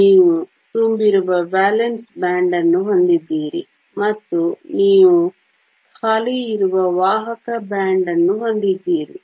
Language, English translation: Kannada, You have a valence band that is full, and you have a conduction band that is empty